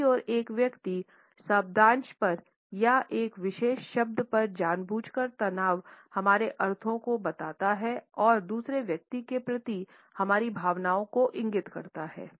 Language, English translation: Hindi, On the other hand the deliberate stress on a particular syllable or on a particular word communicates our meanings and indicates our feelings towards other person